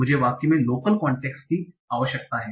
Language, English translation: Hindi, So, so I need the local context in the sentence